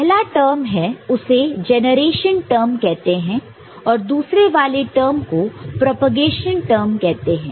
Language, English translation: Hindi, Now, the first one is called generation term, and the second one is called propagation term